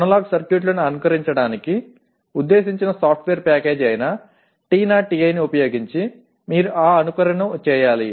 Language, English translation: Telugu, And you should use that simulation using TINA TI which is a software package meant for simulating analog circuits